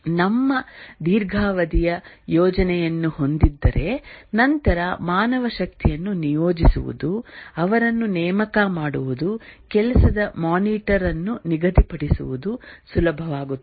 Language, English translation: Kannada, And also if we have a long term plan, then it becomes easier to deploy manpower, recruit them, schedule work, monitor and so on